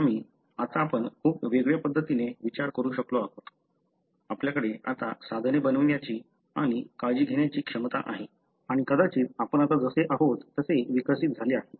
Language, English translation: Marathi, As a result, now we are able to think very differently, we have the ability now to make tools and take care and probably we have evolved the way we are now